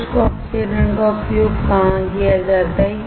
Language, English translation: Hindi, Where is the dry oxidation used